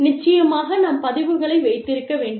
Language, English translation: Tamil, And, of course, we need to keep records